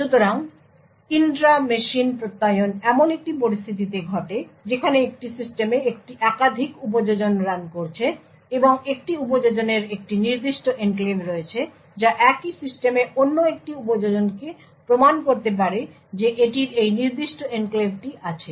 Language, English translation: Bengali, So, the intra machine Attestation in a scenario where there are multiple applications running in a system and one application having a specific enclave can prove to another application in the same system that it has this particular enclave